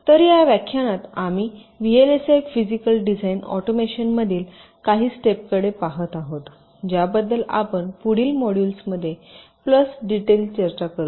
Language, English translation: Marathi, so in this lecture we shall be looking at some of the steps in vlsi physical design automation that we shall be discussing in more detail in the modules to follow